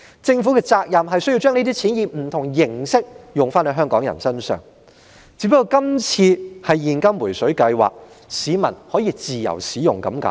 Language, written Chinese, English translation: Cantonese, 政府的責任是要把這些錢以不同形式用在香港人身上，只不過今次是現金"回水計劃"，市民可以自由使用而已。, The Government is obliged to spend the money on Hong Kong people in different ways . This time the payout is in the form of cash rebate and people can use the money as they wish